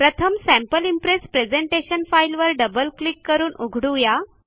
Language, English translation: Marathi, So first, let us open our presentation Sample Impress by double clicking on it